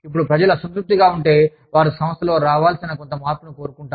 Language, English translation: Telugu, Now, if people are dissatisfied, they want some change, to come about in the organization